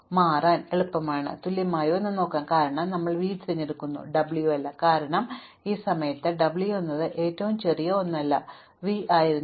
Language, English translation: Malayalam, Now, this must be bigger than or equal to the earlier thing because we choose v and not w because at this point w was not the smallest one, v was